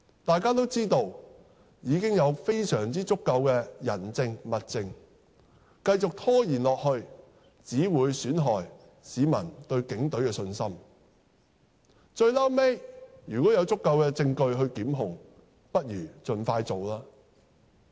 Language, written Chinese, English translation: Cantonese, 大家都知道已有非常足夠的人證、物證，繼續拖延下去只會損害市民對警隊的信心，最後如有足夠證據作檢控，不如盡快進行吧。, We all know that the witnesses and evidence are already more than sufficient and prolonged delays will only undermine the public confidence in the Police . If there is eventually sufficient evidence for prosecution it would be better to proceed as soon as possible